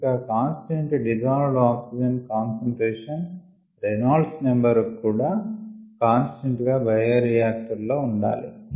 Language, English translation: Telugu, and also one looks for constant dissolved oxygen concentration and constant reynolds number, ah in the bioreactor